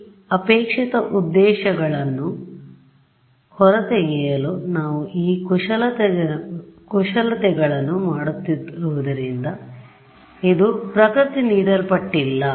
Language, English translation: Kannada, This is not what nature as given as we are doing these manipulations to get these desired objectives out of it that is